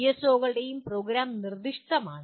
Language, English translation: Malayalam, And PSOs are program specific